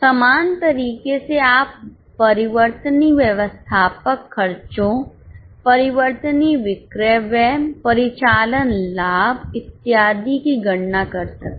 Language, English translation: Hindi, Same way you can record, calculate the variable admin expenses, variable selling expenses, operating profit and so on